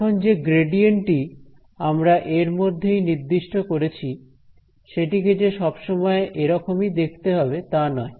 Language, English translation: Bengali, So, now this gradient that we have defined we do not have to always make it look like this right